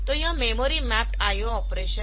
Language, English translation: Hindi, So, this is the memory map I O operation